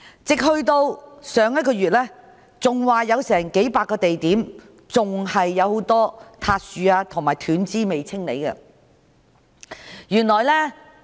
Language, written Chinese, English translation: Cantonese, 直至上月，還有數百個地點很多塌樹和斷枝未獲清理。, Up till last month fallen trees and debris of branches in over one hundred spots have not been removed